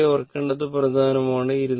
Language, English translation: Malayalam, One thing is important to remember